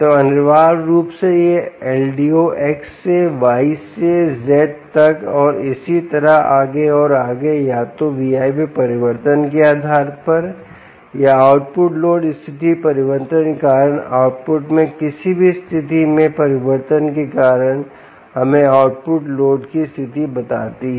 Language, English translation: Hindi, so essentially, this l d o is moving from x to y to z and so on and so forth, based on either change in v in or change in any conditions at the output due to change in the output load condition